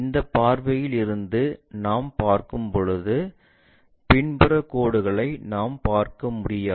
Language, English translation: Tamil, When we are looking from this view, the back side line we cannot really see